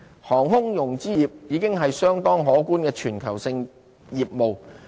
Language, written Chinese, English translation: Cantonese, 航空融資業已經是相當可觀的全球性業務。, Aircraft financing has become a considerable industry worldwide